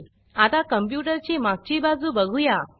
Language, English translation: Marathi, Now lets look at the back of the computer